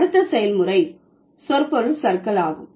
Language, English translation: Tamil, Then the third, then the third process is semantic drift